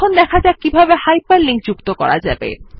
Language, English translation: Bengali, Now lets learn how to hyperlink